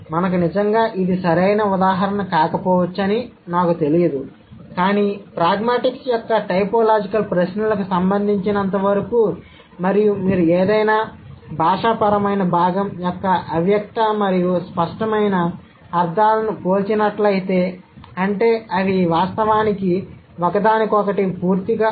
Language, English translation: Telugu, We cannot really, maybe this is not the right kind of example, but then as far as typological questions of pragmatics is concerned, and if you compare the implicit and explicit meanings of any given linguistic component, that means they are not actually diametrically opposite to each other